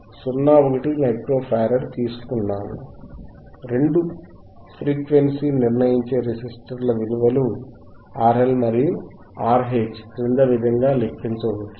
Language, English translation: Telugu, 1 Micro Farad, the values of two frequency determinesing registersistors R L and R H can be calculated as follows